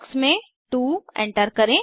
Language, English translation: Hindi, Enter 2 in the box